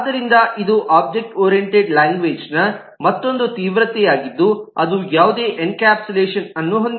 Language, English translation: Kannada, So the it is another extreme of an object oriented language which has no encapsulation at all